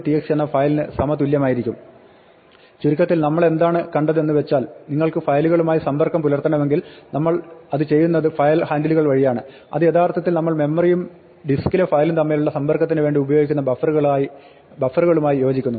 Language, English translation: Malayalam, To summarize what we have seen is that, if you want to interact with files we do it through file handles, which actually corresponds to the buffers that we use to interact between the memory and the file on the disk